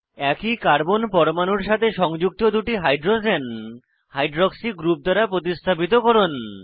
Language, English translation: Bengali, Substitute two hydrogens attached to the same carbon atom with hydroxy group